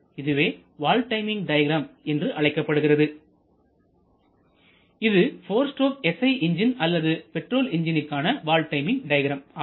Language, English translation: Tamil, This is a typical valve timing diagram that is shown for a 4 stroke SI engine or petrol engine